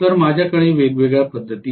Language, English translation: Marathi, So I have different methods